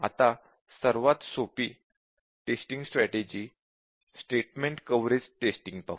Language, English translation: Marathi, Now, let us look at the simplest testing strategy which is the statement coverage testing